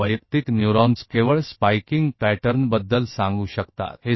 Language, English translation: Hindi, So individual neurons can only tell you about the spiking pattern